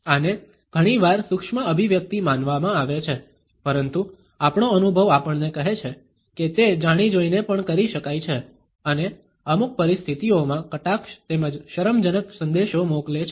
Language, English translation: Gujarati, This is often considered to be a micro expression, but our experience tells us that it can also be done deliberately and sends messages of sarcasm as well as embarrassment in certain situations